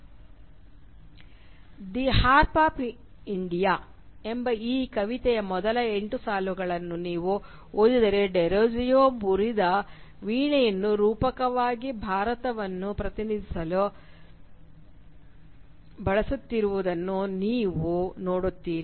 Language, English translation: Kannada, If you read the first eight lines of this poem “The Harp of India”, you will see Derozio is using a broken harp as a metaphoric representation of India